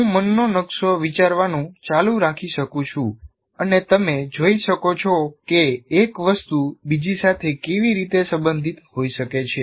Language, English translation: Gujarati, And I can keep on building a mind map and you can see how one thing is related to the other, can be related to the other